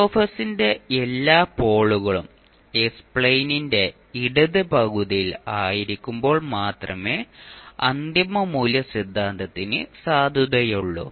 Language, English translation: Malayalam, The final value theorem will be valid only when all polls of F s are located in the left half of s plane